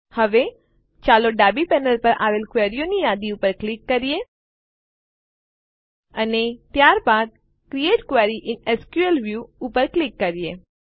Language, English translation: Gujarati, Now, let us click on the Queries list on the left panel and then click on Create Query in SQL View